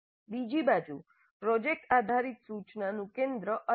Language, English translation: Gujarati, On the other hand the project based instructions focus is different